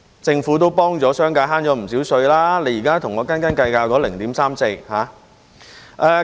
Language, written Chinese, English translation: Cantonese, 政府幫助商界節省了不少稅款，現在卻跟我們斤斤計較那 0.34 個百分點。, While the Government has helped the business sector save lots of tax payment it now haggles with us over 0.34 %